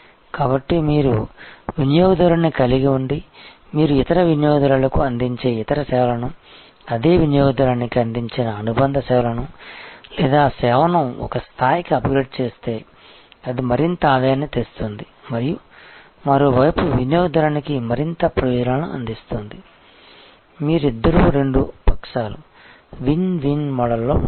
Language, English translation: Telugu, So, if you have a customer and you can build in other services, associated services provided to the same customer or upgrade that service to a level, where it brings in more revenue and on the other hand more advantages to the customer, you will both sides will be in a win win model